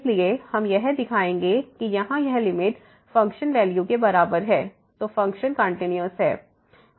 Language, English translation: Hindi, So, we will show that this limit here is equal to the function value than the function is continuous